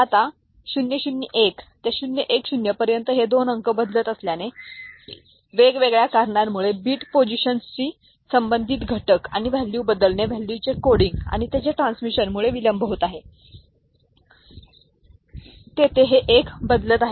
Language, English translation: Marathi, Now, from 001 to 010 since these two digits are changing, if so happens because of various you know delay our elements associated with the bit positions and the changing of the value, the coding of the value and its transmission, there this 1 is changing, when this 0 has not yet changed